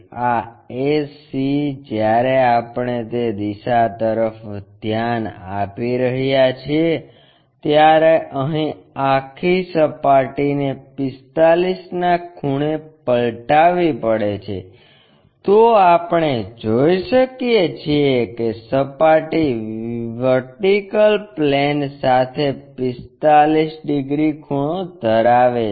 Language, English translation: Gujarati, This a c when we are looking at that direction that entire surface has to be flipped in 45 angle here we can see that, surface is 45 degrees inclined to VP